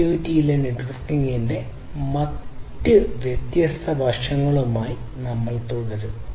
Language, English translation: Malayalam, We will continue with the different other aspects of networking in IoT